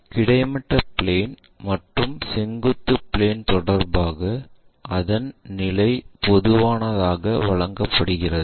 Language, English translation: Tamil, And its position with respect to horizontal plane and vertical plane are given usually